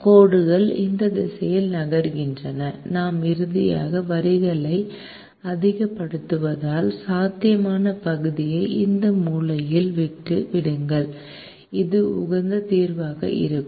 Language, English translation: Tamil, as shown, the lines move in this direction and, because we are maximizing, the lines finally leave the feasible region at this corner point, which happens to be the optimum solution